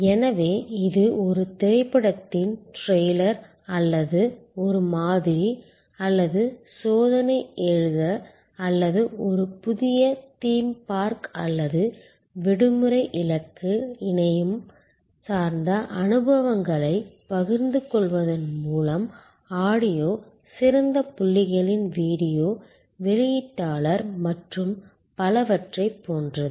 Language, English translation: Tamil, So, it is like a trailer of a movie or a sample or test to write or a visit to a new theme park or holiday destination through internet based sharing of experiences through audio, video discloser of finer points and so on